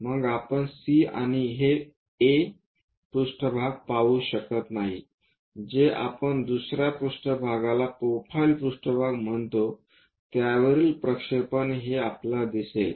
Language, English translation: Marathi, Then, we cannot see C and A surfaces, what we will see is projection of this on to another plane what we will call profile plane